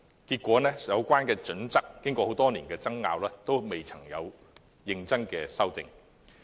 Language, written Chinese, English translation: Cantonese, 結果經過多年爭拗，《規劃標準》仍未認真修訂。, Consequently after years of wrangling HKPSG has never been seriously amended